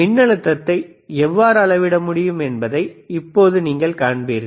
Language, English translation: Tamil, Now what you will see you will see how we can measure the voltage or what is a voltage right now, all right